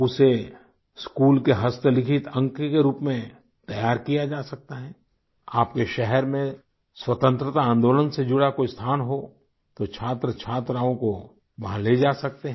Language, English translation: Hindi, A handwritten log for schools can be prepared… if there is any place in your town associated with the freedom movement, then a visit could also be planned for the students